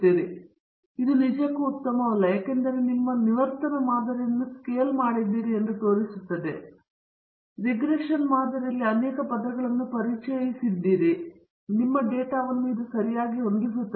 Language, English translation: Kannada, But this is not really good because it shows that you have scaled up your regression model, you have introduced many terms in the regression model, and it is fitting your data properly